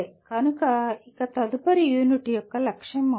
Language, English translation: Telugu, So that will be the goal of next unit